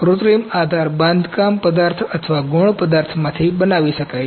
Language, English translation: Gujarati, Synthetic support can be made from build material or from a secondary material